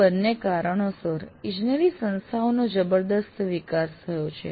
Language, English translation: Gujarati, And these two have resulted in a tremendous growth of engineering institutions